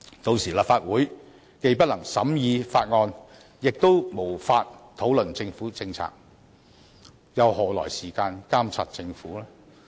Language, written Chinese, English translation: Cantonese, 屆時立法會既不能審議法案，亦無法討論政府政策，又何來時間監察政府？, Should that happen the Council would be unable to scrutinize bills or discuss government policies . How then could the Council have time to monitor the Government?